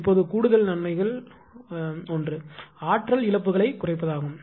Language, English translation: Tamil, Now additional advantages one is reduce energy losses